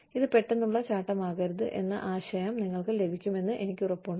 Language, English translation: Malayalam, So, I am sure, you get the idea that, you know, it should not be a sudden jump